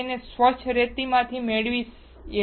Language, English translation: Gujarati, We get it from the clean sand 99